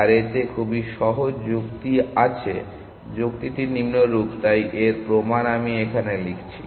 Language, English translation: Bengali, And it has very simple argument, the argument is as follows that so the proof for this I will write here